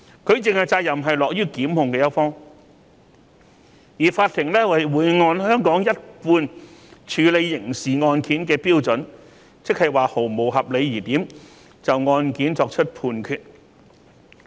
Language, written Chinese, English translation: Cantonese, 舉證的責任落於檢控一方，而法庭會按香港一貫處理刑事案件的標準，即毫無合理疑點，就案件作出判決。, The prosecution bears the burden of proof and the courts will apply the usual standard of proof for criminal cases in Hong Kong in reaching a verdict on the case